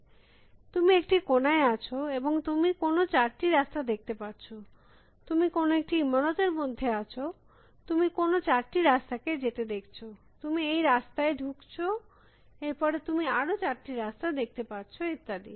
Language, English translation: Bengali, So, you are at some corner and you can see four roads, you are inside some building, you can see some four paths going, you go to this path, then you